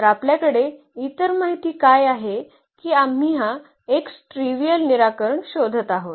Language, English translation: Marathi, So, what is other information we have that we are looking for this non trivial solution x